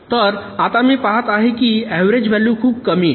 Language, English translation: Marathi, so now, i see, is the average is becoming so much less one point zero